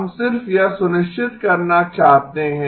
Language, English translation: Hindi, We just want to make sure